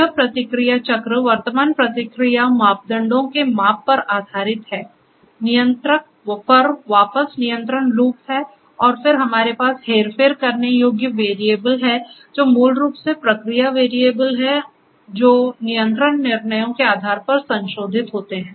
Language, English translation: Hindi, So, this feedback cycle where based on the measurements of the current process parameters and so on, there is a control loop back to the controller and then, we have the manipulating variables which are basically process variables modified based on the control decisions to manipulate the process